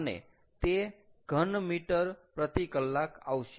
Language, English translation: Gujarati, so thats going to be the meter cube per hour